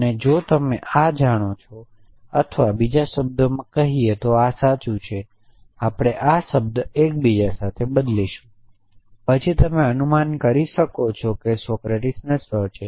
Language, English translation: Gujarati, And if you know this and or in other words this is true we will use the term interchangeably then you can infer that Socrates is mortal